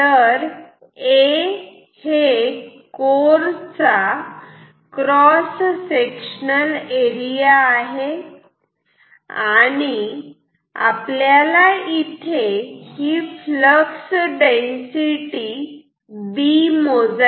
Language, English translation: Marathi, So, A is cross sectional area and B is flux density and we say want to measure this B ok